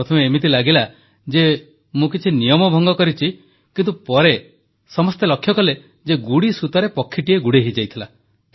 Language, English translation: Odia, At first sight it seemed that I had broken some rule but later everyone came to realize that a bird was stuck in a kite string